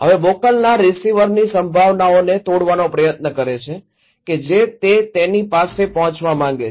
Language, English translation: Gujarati, Now, the senders who try to break the perceptions of the receiver he wants to reach him